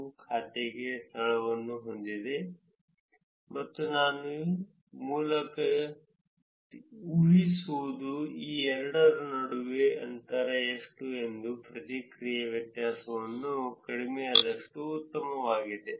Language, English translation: Kannada, And something we were able to my account PK ponguru account has a location and I inferred through the process the location what is the distance between these two, the lower the difference the better